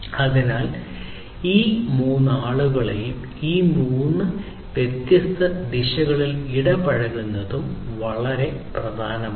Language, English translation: Malayalam, So, engaging all these peoples in these three different directions is also very important